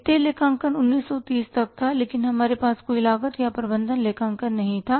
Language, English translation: Hindi, Financial accounting was till 1930 when we didn't have any cost of the management accounting